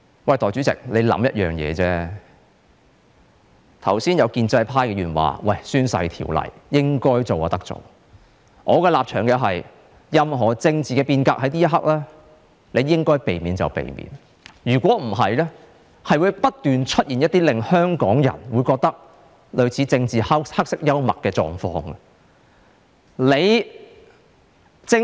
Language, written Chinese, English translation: Cantonese, 剛才有建制派議員說政府應該修訂《宣誓及聲明條例》的，而我的立場是，此刻任何政治變革可免則免，否則將會不斷出現一些令香港人覺得類似政治黑色幽默的狀況。, Just now some pro - establishment Members said that the Government should amend the Oaths and Declarations Ordinance . My position is that at such a time the Government should avoid any political reform as far as possible; otherwise some events that Hong Kong people would regard as political dark humour will be bound to happen